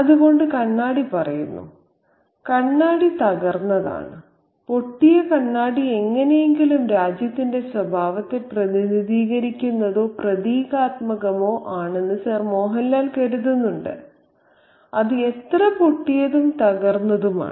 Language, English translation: Malayalam, So, the mirror says that the mirror is broken by the way and Sir Mohan Lal thinks that the broken mirror, the cracked mirror is somehow representative or symbolic of the nature of the country itself, how fractured and broken it is